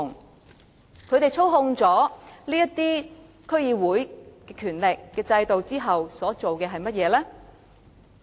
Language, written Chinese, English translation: Cantonese, 當他們操控了區議會的權力和制度後，他們所做的是甚麼呢？, What have they done after gaining control over the powers and institutions of DCs?